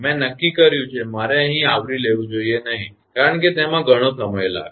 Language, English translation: Gujarati, I have decided I should not cover here because it will take long time